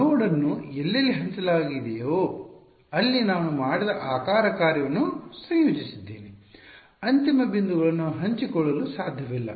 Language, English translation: Kannada, Wherever a node were shared I combined the shape function that is what I did, the end points could not be shared